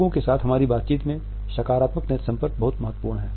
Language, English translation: Hindi, Positive eye contact is important in our interaction with other people